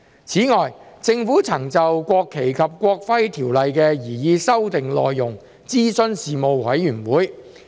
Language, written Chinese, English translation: Cantonese, 此外，政府曾就《國旗及國徽條例》的擬議修訂內容諮詢事務委員會。, Moreover the Panel was consulted on the proposed amendments to the National Flag and National Emblem Ordinance